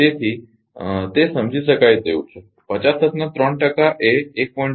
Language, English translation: Gujarati, So, 3 percents of 50 hertz means 1